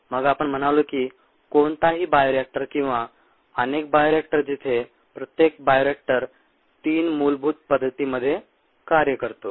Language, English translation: Marathi, then we said that any bioreactor, or many bioreactors, where each bioreactor can be operated in three basic modes ah